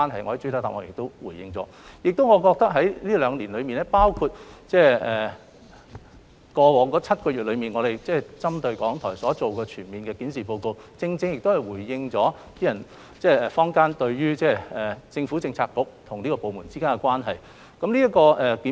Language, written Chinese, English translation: Cantonese, 我認為在這兩年間，包括在過去7個月中，局方針對港台進行的全面檢視，正可回應坊間對政策局與該部門之間關係所提出的疑問。, I think that the comprehensive review conducted by the Bureau on RTHK in the last two years including the past seven months is adequate to address public queries about the relationship between the Bureau and the government department concerned